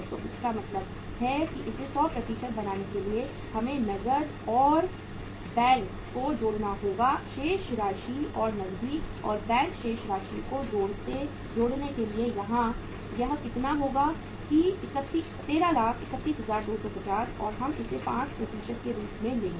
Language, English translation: Hindi, So it means for making it 100% we have to add the cash and bank balances and for adding the cash and bank balances here how much it will be that 13,31, 250 and we will take it as 5%